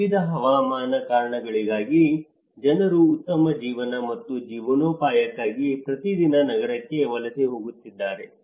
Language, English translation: Kannada, Every day people are migrating to the city looking for a better life and livelihood for various climatic reasons